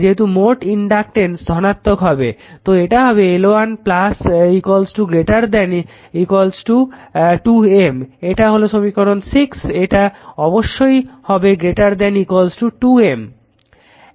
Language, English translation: Bengali, So, it will be L 1 plus L 2 greater than equal to 2 M this is equation 6 right it has to be greater than equal to 2 M